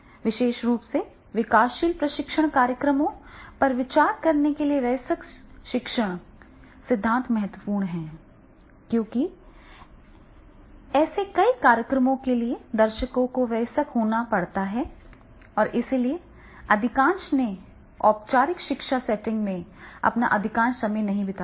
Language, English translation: Hindi, Adult learning theory is especially important to consider the developing training programs because the audience for many such programs tends to be adults and therefore most of whom have not spent a majority of their time in a formal educational setting